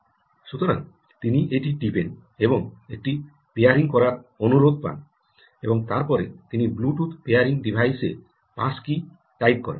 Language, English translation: Bengali, so she presses that um, and there is a pairing request and then she types in the bluetooth pairing device that is the pass key that she is providing, and she says ok